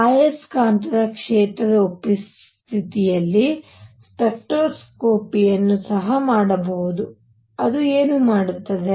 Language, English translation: Kannada, One could also do spectroscopy in presence of magnetic field what would that do